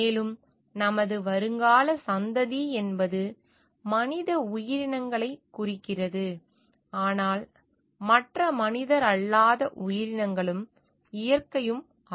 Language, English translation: Tamil, And our future generation means human entities, but also other non human entities also and the nature per say